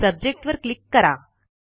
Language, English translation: Marathi, Simply click on Subject